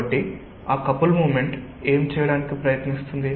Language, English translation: Telugu, so what will that couple moment try to do